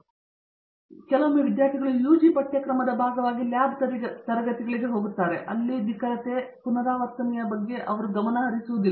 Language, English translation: Kannada, Now, once again the students are introduced to the lab classes in their as part of the UG curriculum, but there even not pay attention to preciseness, accuracy and repeatability and so on